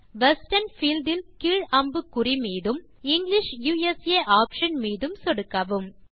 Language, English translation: Tamil, So click on the down arrow in the Western field and click on the English USA option